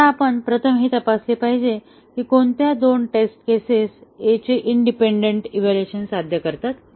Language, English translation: Marathi, Now, we have to first check which two test cases achieve the independent evaluation of A